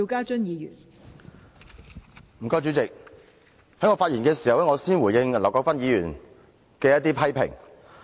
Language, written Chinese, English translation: Cantonese, 代理主席，在我發言前，我先回應劉國勳議員的批評。, Deputy President before I start I wish to respond to Mr LAU Kwok - fans criticism